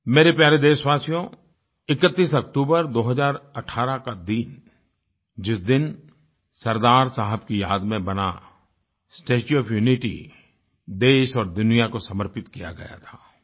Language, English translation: Hindi, My dear countrymen, the 31st of October, 2018, is the day when the 'Statue of Unity',in memory of Sardar Saheb was dedicated to the nation and the world